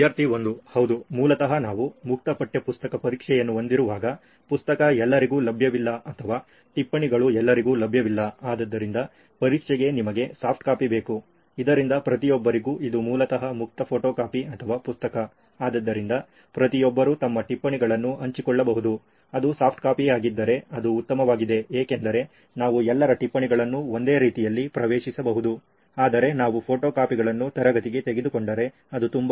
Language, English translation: Kannada, Yeah basically when we have an open textbook exam, it is not available, the book is not available to everyone or the notes is not available to everyone, so you need a soft copy so that everybody can basically it’s an open photocopy or book exam so everybody can share their notes, if it’s a soft copy it is way better because we can access everybody’s notes in a single…but if we takes Photostats to in the classroom it is very